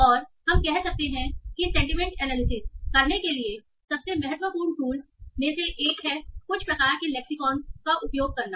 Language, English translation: Hindi, So, and we were saying that one of the most important tools for doing sentient analysis is using some sort of lexicons